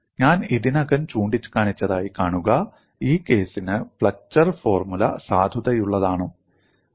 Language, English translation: Malayalam, See I have already pointed out is flexure formula valid for this case